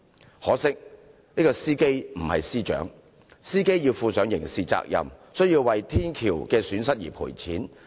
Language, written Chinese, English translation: Cantonese, 只可惜，司機不是司長，所以要負上刑事責任，亦要為捐毀的天橋作出賠償。, It is a pity that the driver was not the Secretary for Justice and had to bear criminal responsibility and pay compensation for the smashed bridge